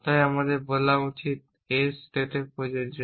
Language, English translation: Bengali, So we should say applicable in state s